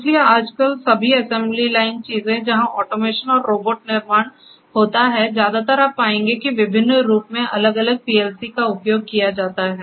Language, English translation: Hindi, So, all assembly line things you know nowadays where there is automation, robotic manufacturing facilities mostly you will find that what is used are these different PLCs in different forms